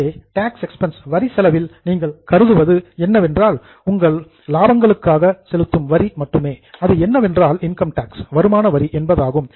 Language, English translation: Tamil, So, what you are considering here in tax expense is only taxes on your profits, which is nothing but income tax